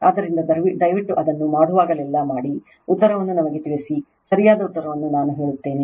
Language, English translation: Kannada, So, please do it whenever you do it, let us know the answer I will tell you the correct answer right